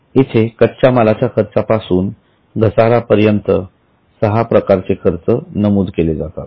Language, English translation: Marathi, There are six categories of expenses starting from cost of material to depreciation